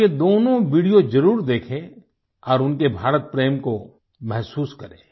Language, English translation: Hindi, You must watch both of these videos and feel their love for India